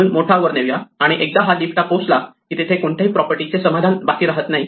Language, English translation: Marathi, So, the larger one moves up and once it reaches the leaf there are no properties to be satisfied anymore